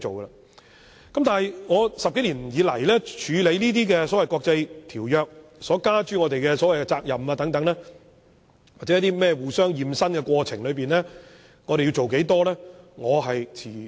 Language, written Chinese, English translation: Cantonese, 在這10多年處理有關國際條約所加諸我們的責任或在所謂"互相驗身"的過程中，我們要做多少？, In respect of the obligations imposed on us by various international conventions or during the so - called mutual inspections to what extent should we comply?